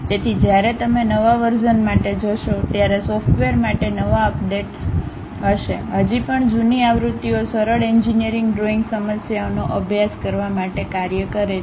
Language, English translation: Gujarati, So, when you are going for new versions, new updates will be there for the software still the older versions work for practicing the simple engineering drawing problems